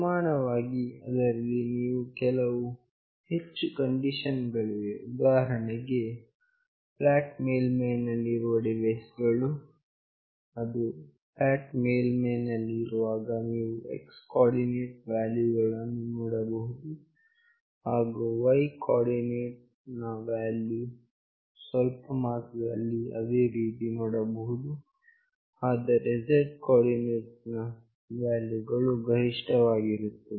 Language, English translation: Kannada, Similarly, there are few more condition like the devices lying flat, when it is lying flat you see x coordinate value, and y coordinate value are to some extent same, but the z coordinate value is the highest